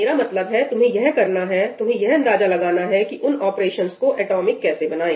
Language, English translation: Hindi, No, I mean, you have to do it; you will have to figure out how to make those operations atomic